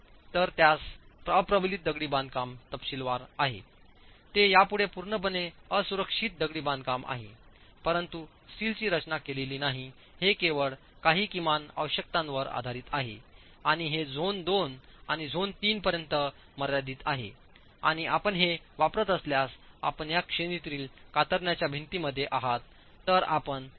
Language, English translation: Marathi, There is, it is no longer purely unrenforced masonry but the steel is not designed, it is merely prescribed based on some minimum requirements and this is limited to zones 2 and zone 2 and zone 3 and if you are using this, if you are in this category of shear wall then you can use an R factor of 2